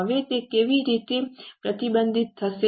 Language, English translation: Gujarati, Now how it will be reflected